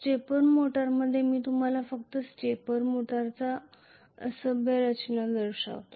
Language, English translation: Marathi, In a stepper motor I will just show you crude structure of a stepper motor